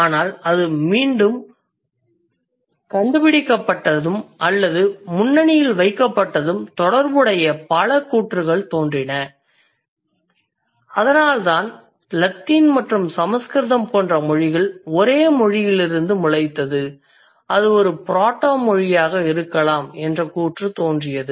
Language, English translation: Tamil, But once it has been re discovered or once it has been rediscovered or once it has been put at the forefront, a lot of related disciplines or a lot of related claims came into existence, which is why we had a claim like Latin and Sanskrit, they, they kind of sprung from the same language, which could be a proto language